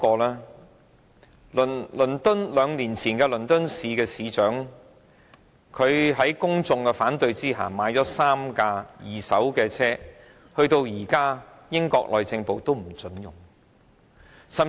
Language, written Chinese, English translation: Cantonese, 兩年前，倫敦市市長在公眾反對下購買了3輛二手的水炮車，英國內政部至今仍不准使用。, Two years ago the Mayor of London purchased three second - hand water cannon vehicles despite public objection . Up till now the Home Office of the United Kingdom has forbidden the use of these vehicles